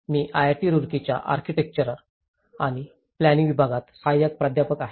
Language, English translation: Marathi, I am an assistant professor in Department of Architecture and Planning, IIT Roorkee